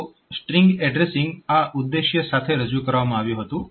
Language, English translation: Gujarati, So, this was the objective with which this string addressing was introduced